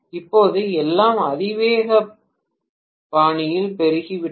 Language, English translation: Tamil, And now, everything has proliferated in exponential fashion